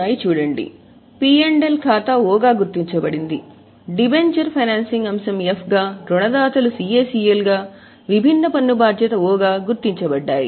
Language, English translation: Telugu, So, profit and loss account was marked as O, dementia being a financing item F, creditors, CACL, deferred tax liability O